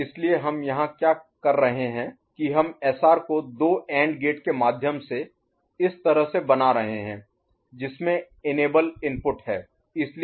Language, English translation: Hindi, So, what we are doing here that we are putting, we are making SR go there through two AND gates like this, which has got an enable input